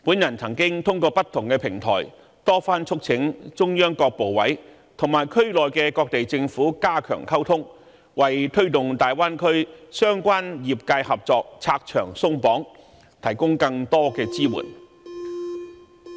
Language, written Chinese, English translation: Cantonese, 我曾透過不同平台多番促請中央各部委加強與區內各地政府溝通，為推動大灣區相關業界合作拆牆鬆綁，提供更多支援。, I have resorted to different platforms to repeatedly urge various ministries and institutions under the Central Authorities to strengthen communication with the local governments so that the obstacles can be removed and more support can be provided for related industries in the Greater Bay Area